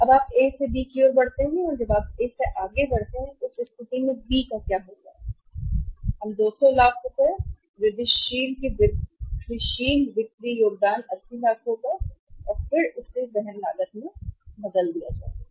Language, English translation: Hindi, Now you move from A to B, when you move from A to B in that case what will happen we will have the incremental sales of 200 lakhs, incremental contribution will be 80 lakhs and then it will be changed in the carrying cost